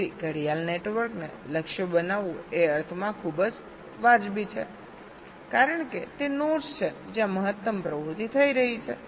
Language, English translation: Gujarati, so targeting the clock network is very justified in the sense because those are the nodes where maximum activity is happening